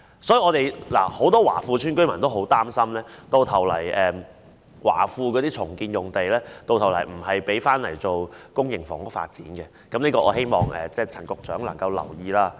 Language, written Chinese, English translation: Cantonese, 因此，很多華富邨居民都很擔心，華富邨的重建用地最後並非用作公營房屋發展，我希望陳局長能夠留意這方面。, As a result many residents of Wah Fu Estate are extremely worried that the site released by the redevelopment of Wah Fu Estate will not be used for public housing development . I hope Secretary Frank CHAN would pay attention to this issue